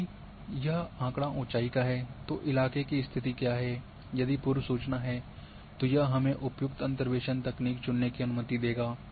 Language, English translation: Hindi, If it is elevation data then what is the terrain condition, if prior information is there then it will allow us to choose appropriate interpolation technique